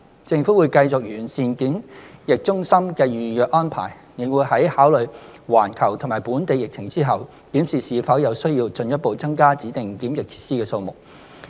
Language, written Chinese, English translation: Cantonese, 政府會繼續完善檢疫中心的預約安排，亦會在考慮環球及本地疫情後，檢視是否有需要進一步增加指定檢疫設施的數目。, The Government will continue to refine the reservation arrangements for PBQC and will consider the need for further increasing the number of DQFs having regard to the worldwide and local epidemic situation